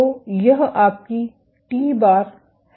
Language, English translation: Hindi, So, this is your t bar